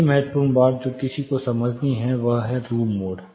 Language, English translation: Hindi, The next crucial thing which one has to understand is, the term called room mode